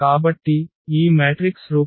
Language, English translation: Telugu, So, let us put in this matrix form